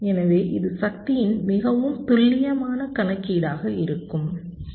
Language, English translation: Tamil, so this will be a more accurate calculation of the power, right